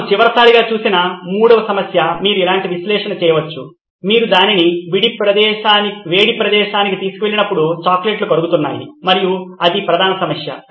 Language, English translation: Telugu, The third problem that we looked at last time again you can do the analysis similar to that is the chocolates are melting when you take it to a hot place and that was the main problem